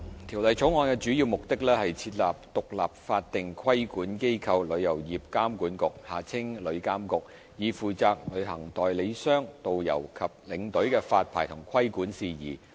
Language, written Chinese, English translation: Cantonese, 《條例草案》的主要目的，是設立獨立法定規管機構——旅遊業監管局，以負責旅行代理商、導遊和領隊的發牌和規管事宜。, The main purpose of the Bill is to establish an independent statutory regulatory body the Travel Industry Authority TIA to be responsible for the licensing and regulation of travel agents tourist guides and tour escorts